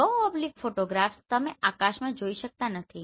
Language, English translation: Gujarati, In low oblique photographs you cannot see sky